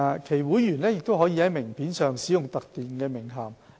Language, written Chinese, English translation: Cantonese, 其會員亦可在名片上使用特定的名銜。, Members of the accredited bodies can use a specific title on their name cards